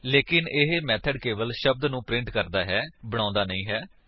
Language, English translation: Punjabi, But this method only prints the word but does not create one